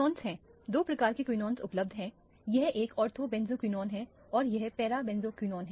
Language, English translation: Hindi, Now quinones are, there are two types of quinones available this is a ortho benzoquinone and this is para benzoquinone